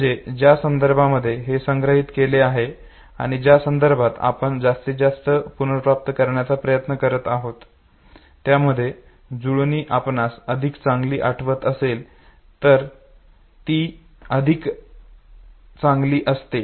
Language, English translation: Marathi, So if there is a match in the context in which it was stored and in which you are trying to retrieve more and more is the match between the contexts, higher is the probability that you would recollect it better